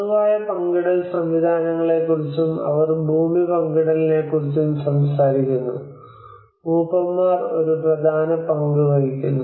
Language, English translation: Malayalam, Also talks about the common shared systems and how they shared land the elders plays an important role